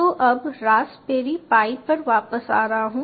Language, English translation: Hindi, so you login into my raspberry pi